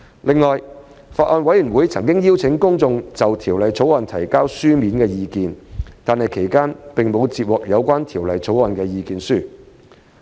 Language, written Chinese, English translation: Cantonese, 另外，法案委員會曾邀請公眾就《條例草案》提交書面意見，但其間並無接獲有關《條例草案》的意見書。, In addition the Bills Committee has invited the public to submit written submissions on the Bill but no submissions on the Bill have been received during the relevant period